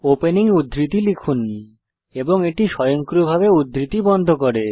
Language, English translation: Bengali, Type opening quotes and it automatically closes the quotes